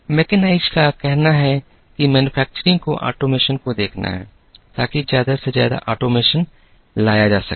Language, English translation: Hindi, Mechanize says that, manufacturing has to look at automation, to bring as much of automation as possible